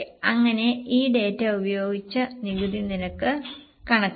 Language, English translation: Malayalam, So, we will have to calculate the tax rate